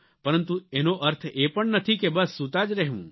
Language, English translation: Gujarati, But this does not mean that you keep sleeping all the time